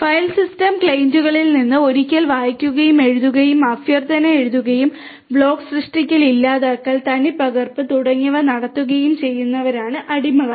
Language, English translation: Malayalam, Slaves are the once which read write request from the file systems clients and perform block creation, deletion, replication and so on